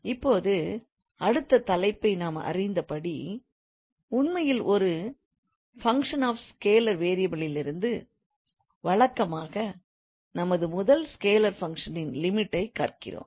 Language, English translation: Tamil, Now the next topic, we know that from a function of scalar, scalar functions actually, after the function we had, we went, we study usually the limit of scalar functions